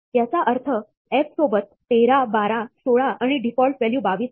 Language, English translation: Marathi, This is interpreted as f of 13, 12, 16 and the default value 22